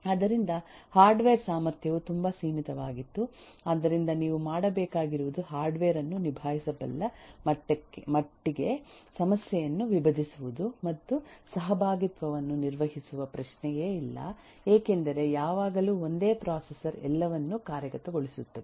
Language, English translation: Kannada, So, the hardware capacity itself was very limited so all that you needed to do is to divide that problem to the extent that the hardware can handle and eh also there is no question of handling concurrency because there was always just one single processor executing everything